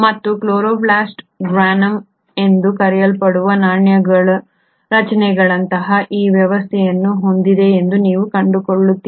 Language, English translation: Kannada, And then you find that this chloroplast has this arrangement of coin like structures which are called as the Granum